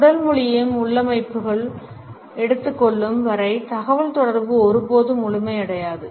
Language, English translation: Tamil, The communication never becomes complete unless and until we also take body language into configuration